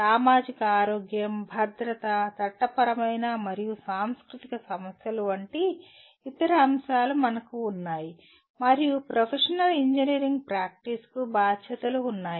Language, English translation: Telugu, And we have other elements like societal health, safety, legal and cultural issues and the responsibilities are to the professional engineering practice